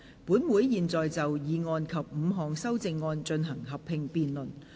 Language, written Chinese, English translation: Cantonese, 本會現在就議案及5項修正案進行合併辯論。, This Council will now proceed to a joint debate on the motion and the five amendments